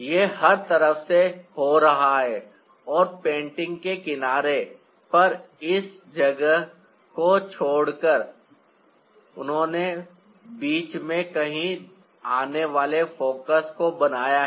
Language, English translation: Hindi, its happening from all sites and by leaving this much of space at the age of the painting, he has made the focus coming somewhere in between